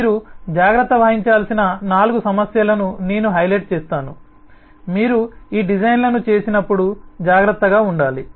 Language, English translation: Telugu, i will highlight the four issues that need to be, you need to take care of, you need to be careful about when you do these designs